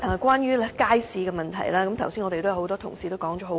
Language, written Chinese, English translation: Cantonese, 關於街市問題，多位同事剛才已說了很多。, Various Members have spoken a lot on issues relating to public markets earlier